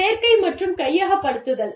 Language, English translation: Tamil, Recruitment and selection